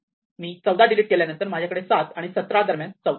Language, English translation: Marathi, If I delete, for example, 14 then I have no longer 14 between 7 and 17 and so on